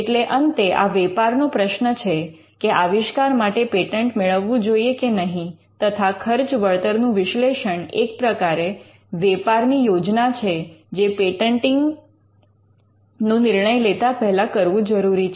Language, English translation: Gujarati, So, it is a business call at the end of the day, whether invention should be patented, and a cost benefit analysis is or or drawing a business plan to put it in another way, will be very important before taking a call on patenting